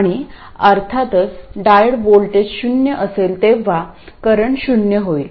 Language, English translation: Marathi, And of course it is a current is 0 when the diode voltage is 0